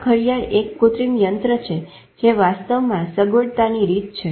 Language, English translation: Gujarati, This clock is an artificial contraption which is a mode of convenience actually in fact